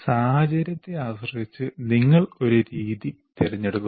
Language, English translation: Malayalam, Depending on the situation, you want to use a method